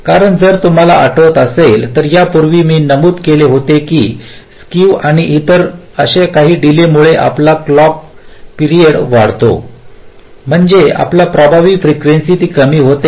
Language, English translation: Marathi, because, if you recall earlier i mentioned that because of the skew and the other such delays, our clock time period increases, which means our effective frequency decreases